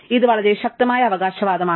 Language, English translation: Malayalam, This is a very powerful claim